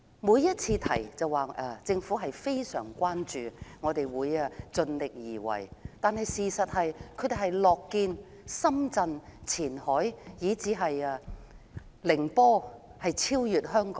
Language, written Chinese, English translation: Cantonese, 每次有人提及此事，政府都說非常關注，會盡力而為，但事實上他們樂見深圳、前海以至寧波超越香港。, Whenever the Government is asked about the development of the maritime industry it always shows its concern and indicates its commitment . But the truth is it is happy to see Shenzhen Qianhai and even Ningbo outshining Hong Kong